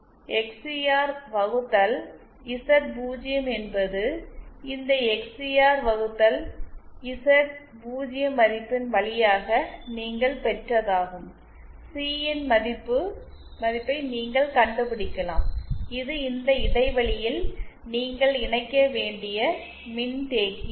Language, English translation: Tamil, This XCR upon Z0 is by the way from this XCR upon Z0 value that you obtained, you can find out the value of C that is the capacitance you have to connect in this gap